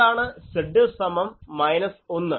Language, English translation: Malayalam, What is Z is equal to minus 1